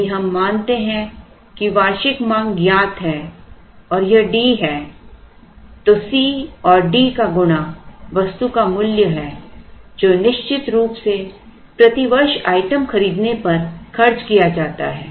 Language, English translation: Hindi, If we assume that the annual demand is known and this capital d then D into c is the worth of the item or the money spent on buying the item per year under the assumption of course